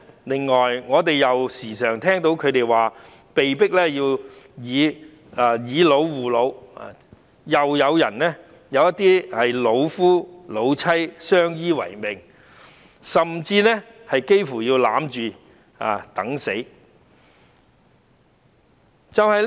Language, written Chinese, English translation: Cantonese, 此外，我們經常聽到長者說被迫要"以老護老"，亦有一些老夫老妻相依為命，甚至幾乎要互擁着等死。, Moreover we always hear that the elderly are forced to take care of the elderly . Some old couples are mutually independent even to the extent of sticking together till death